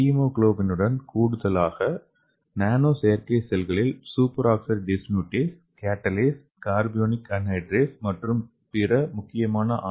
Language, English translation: Tamil, And again in addition to hemoglobin, the nano artificial cells should contain important RBC enzymes like superoxide dismutase, catalase, carbonic anhydrase and other enzymes, okay